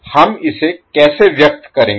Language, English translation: Hindi, How we will express that